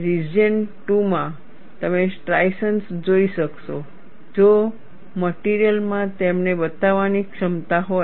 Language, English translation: Gujarati, In region 2, you will able to see striations, if the material has the ability to show them